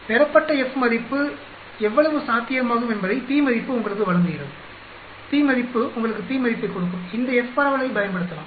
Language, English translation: Tamil, The p value gives you how likely the obtained f value is going to occur, p value we can use this f dist that gives you the p value